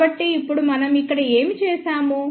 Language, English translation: Telugu, So, now what we have done over here